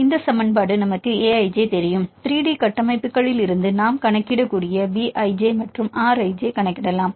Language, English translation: Tamil, Then this equation, we know A i j; we can calculate B i j and R i j we can calculate from 3D structures